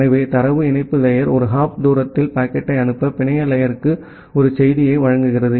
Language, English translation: Tamil, So, then the data link layer provides a service to the network layer, to forward the packet in one hop distance